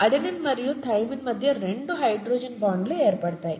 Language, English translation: Telugu, There are two hydrogen bonds that are formed between adenine and thymine